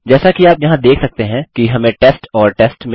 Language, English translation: Hindi, As you can see over here, we got test and test